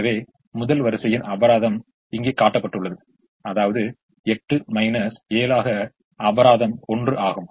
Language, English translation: Tamil, so the penalty for the first row is shown here, which is eight minus seven, which is one